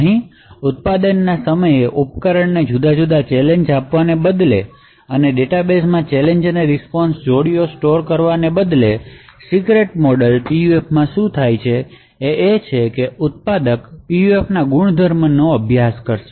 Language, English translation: Gujarati, So what happens over here is at the time of manufacture instead of varying the device with different challenges of training the responses and storing the challenge response pairs in our database, what happens in a secret model PUF is that the manufacturer would study the properties of this PUF and create a model for that particular PUF